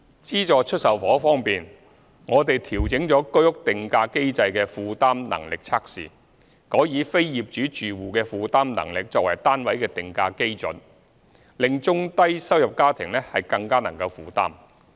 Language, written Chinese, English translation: Cantonese, 資助出售房屋方面，我們調整了居屋定價機制的負擔能力測試，改以非業主住戶的負擔能力作為單位的定價基礎，令中低收入家庭更能負擔。, As regards subsidized sale flats we have revised the affordability test under the pricing mechanism for the Home Ownership Scheme HOS by using the affordability of non - owner occupier households as the pricing basis in order to make it more affordable to lower - to middle - income households